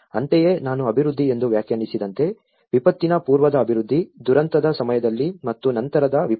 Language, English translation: Kannada, Similarly, as I defined to as a development, the pre disaster development, during disaster and the post disaster